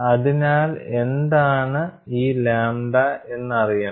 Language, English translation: Malayalam, As well as, what is lambda